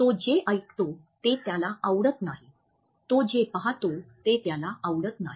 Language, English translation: Marathi, He does not like what he hears, he does not like what he sees